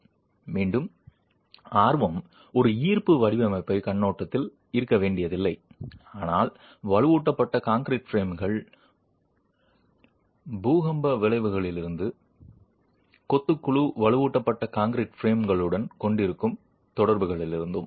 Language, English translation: Tamil, And the interest again is not necessarily from a gravity design point of view but from earthquake effects on reinforced concrete frames and the interactions that the masonry panel will have with reinforced concrete frames